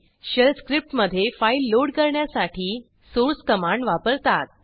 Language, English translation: Marathi, Source command is used to load a file into Shell script